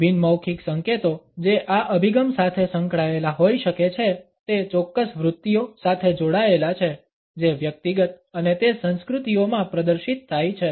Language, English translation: Gujarati, The non verbal clues which can be associated with this orientation are linked with certain tendencies which are exhibited in individual and it over cultures